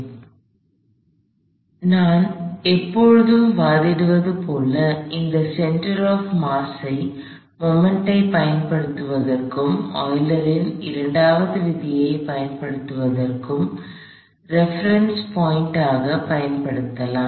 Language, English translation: Tamil, So, like I have always advocated, strict to this center of mass being your point of reference for applying moments, for applying the Euler’s second law and you will always be ok